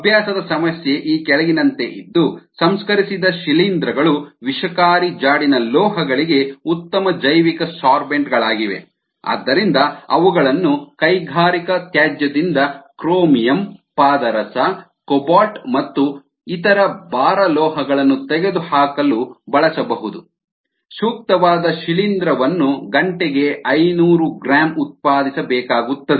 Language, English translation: Kannada, the practice problem reads as follows: processed fungi are good biosorbents for toxic trace metals and thus they can be used to remove chromium, mercury, cobalt and other heavy metals from industry effluents, a suitable fungus needs to be produced at five hundred gram per hour for the above purpose